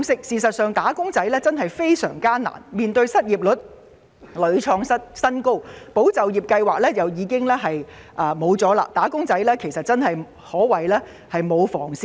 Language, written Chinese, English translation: Cantonese, 事實上，"打工仔"的處境的確非常艱難，面對失業率屢創新高，"保就業"計劃亦已結束，"打工仔"可謂沒有防線可守。, In fact wage earners are in a very difficult situation because not only the unemployment rate keeps hitting new highs but the Employment Support Scheme is also over